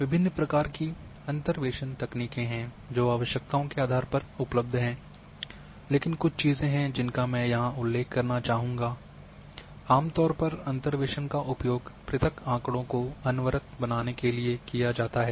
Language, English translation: Hindi, There are variety of interpolation techniques are available depending on your requirements, but there are few things which I would like to mention here first that, generally the interpolation is done from using discrete data to make them as continuous